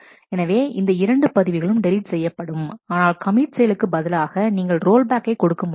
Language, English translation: Tamil, So, these 2 records are to be deleted, but then instead of commit we have given a rollback